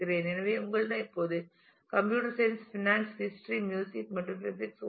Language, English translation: Tamil, So, you have now computer science, finance, history, music and physics